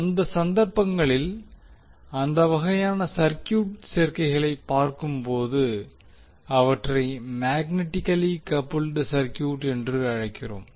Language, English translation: Tamil, So in those cases when we see those kind of circuit combinations we call them as magnetically coupled circuit